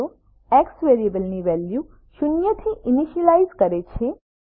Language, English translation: Gujarati, $x=0 initializes the value of variable x to zero